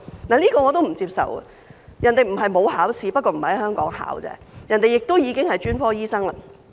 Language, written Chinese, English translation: Cantonese, 這一點我亦不接受，因為人家不是沒有考試，只是並非在香港考試而已，人家已經是專科醫生。, I do not think this argument is tenable because it is not that overseas doctors have not taken an examination just that they have not taken an examination in Hong Kong